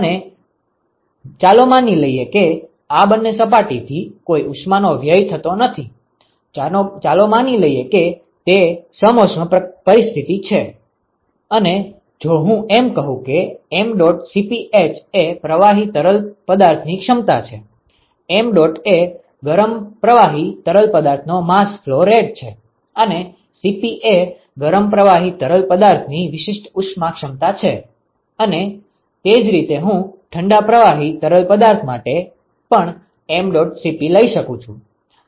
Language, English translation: Gujarati, And let us assume that there is no heat loss from the both these surfaces, let us assume, that it is a an adiabatic situation and if I also say that mdot Cp h is the capacity of the fluid, mdot is the mass flow rate of the hot fluid and Cp is the specific heat capacity of the hot fluid and similarly I can throw this mdot Cp of a cold fluid